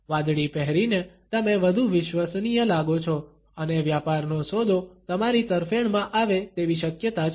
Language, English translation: Gujarati, By wearing blue you have seen more trustworthy and the business deal is more likely to turn out in your favor